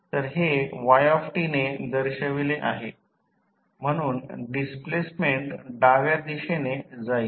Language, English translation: Marathi, So, it is represented with y t, so displacement will be in the horizontal direction